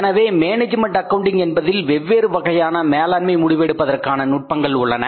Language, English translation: Tamil, So, in the management accounting there are different techniques of management decision making